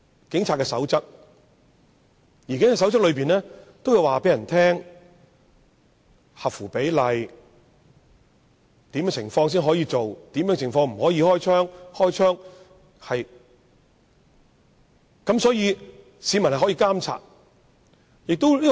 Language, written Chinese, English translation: Cantonese, 警察守則會說明何謂合乎比例的武力、在甚麼情況下可以開槍、甚麼情況不可開槍等，好讓市民作出監察。, The guidelines of the Police Force state clearly what is meant by proportionate force under what circumstances a police officer can fire his gun under what circumstances he cannot fire his gun so as to facilitate the monitoring of the public